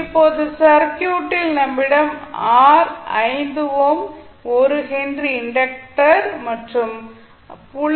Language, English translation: Tamil, Now in the circuit we will have only R of 5 ohm, 1 henry inductor and 0